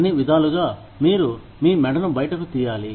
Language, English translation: Telugu, By all means, you must stick your neck out